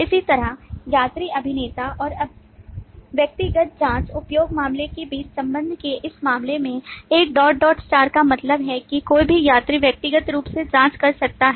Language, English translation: Hindi, Similarly, in this case of association between passenger actor and the individual checking use case, the 1 dot dot star again means that any number of passengers can check in individually